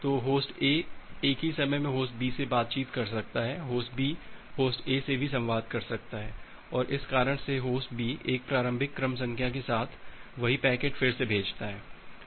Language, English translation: Hindi, So Host A can communicate with Host B at the same time Host B can also communicate with Host A and because of this reason, Host B also sends a same packet with an initial sequence number